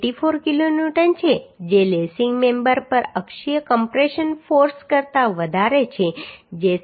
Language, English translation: Gujarati, 84 kilonewton which is greater than the axial compression force on lacing member that is 17